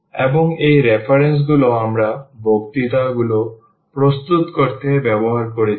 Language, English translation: Bengali, And these are the references which we have used to prepare these lectures